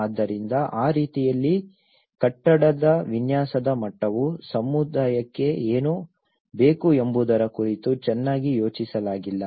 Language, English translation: Kannada, So in that way, even the building design level has not been well thought of what the community needs